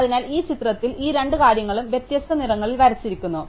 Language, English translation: Malayalam, So, so here in this picture, right, these two things are drawn in different colors